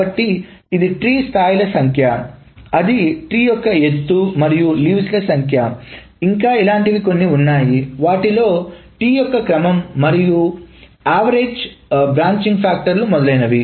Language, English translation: Telugu, So the number of levels of the tree that is the height of the tree and the number of leaves that is in there and some other things size the order of the tree and the average branching factor and all those things